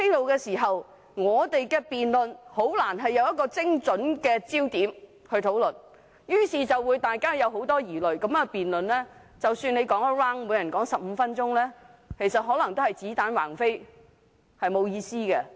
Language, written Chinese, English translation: Cantonese, 如此一來，我們的辯論就難以針對一個精準的焦點；大家滿腹疑慮之下辯論，即使每人發言15分鐘，也可能只是子彈橫飛，沒有意思。, In this way our debate cannot focus on an accurate point . In a debate where everyone is so misgivings - ridden each Member though given 15 minutes to speak may well be firing bullets aimlessly at no target